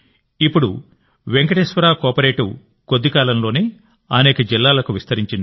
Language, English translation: Telugu, Today Venkateshwara CoOperative has expanded to many districts in no time